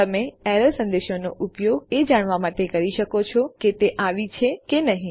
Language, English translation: Gujarati, You can use the error messages to check if it has occurred or hasnt occurred